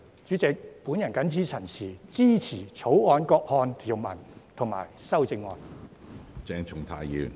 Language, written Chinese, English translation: Cantonese, 主席，我謹此陳辭，支持《條例草案》各項條文和修正案。, With these remarks Chairman I support all provisions of and amendments to the Bill